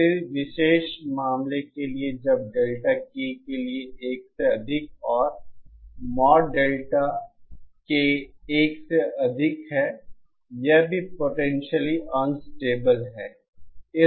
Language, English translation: Hindi, For a particular case when Delta so for K greater than 1 and mod Delta greater than 1 this is also potentially unstable